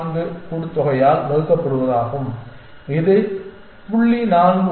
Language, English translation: Tamil, 14 this divided by the sum is 0